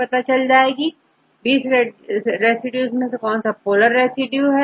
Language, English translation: Hindi, Among the 20, which is a polar residues